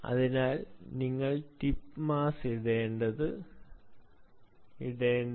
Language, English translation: Malayalam, this is why you have to put the tip mass